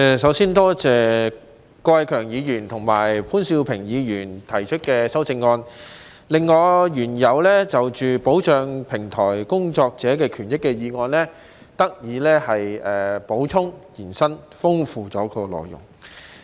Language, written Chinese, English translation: Cantonese, 首先多謝郭偉强議員和潘兆平議員提出的修正案，令我原有的"保障平台工作者的權益"的議案得以補充和延伸，豐富了內容。, I would first of all like to thank Mr KWOK Wai - keung and Mr POON Siu - ping for proposing the amendments which have enriched the contents of my original motion on Protecting the rights and interests of platform workers by supplementing and expanding the coverage of the proposals contained therein